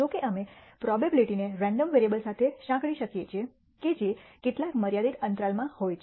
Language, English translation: Gujarati, However, we can associate a probability that the random variable lies within some finite interval